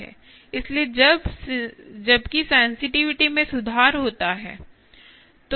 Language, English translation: Hindi, so, while sensitivity improves its ability to